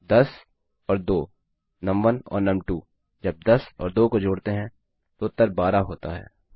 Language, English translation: Hindi, 10 and 2, num1 and num2, when 10 and 2 are added, the answer is 12